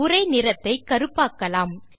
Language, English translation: Tamil, The text is now black in color